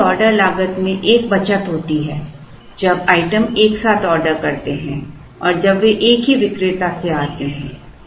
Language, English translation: Hindi, Now, there is a saving in the total order cost when items are order together and when they come from the same vendor